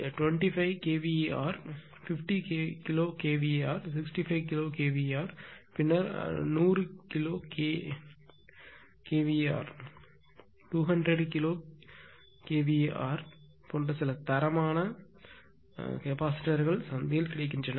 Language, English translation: Tamil, Some standard ratings of capacitors are available in the market, like 25 kvr, 50 kilo kvr, 65 kilowatt, then 100 kilowatt, 200 kilowatt like that